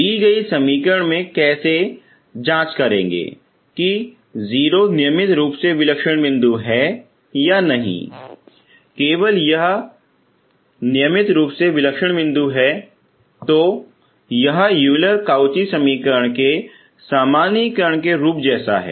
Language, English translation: Hindi, So given an equation you have to check whether 0 is regular singular point or not, only when it is regular singular point it is of the form as of the generalisation of Euler Cauchy equation